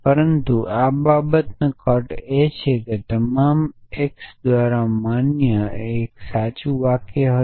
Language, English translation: Gujarati, But the cuts of the matter are that a sentence quantified by for all x would be true